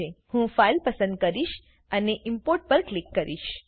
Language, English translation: Gujarati, I will choose the file and click on Import